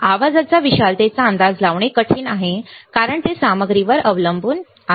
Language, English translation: Marathi, The magnitude of the noise is difficult to predict due to its dependence on the material